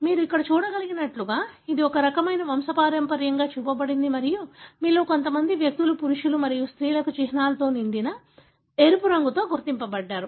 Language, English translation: Telugu, So, as you can see here, this is a kind of pedigree that is shown and you have some individuals that are identified with a red colour filled in symbols for male and female